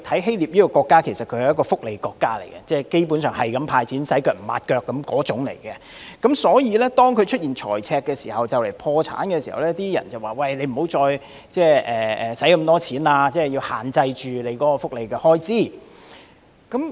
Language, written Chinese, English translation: Cantonese, 希臘是一個福利國家，基本上不斷"派錢"，"洗腳唔抹腳"，所以在出現財赤並面臨破產時，有意見呼籲當地政府不應再大灑金錢，要限制福利開支。, Greece is a welfare state which basically hands out money constantly and spends irresponsibly . Therefore in the face of a fiscal deficit and imminent bankruptcy there were views calling on the Greek Government to stop spending extravagantly and limit its welfare spending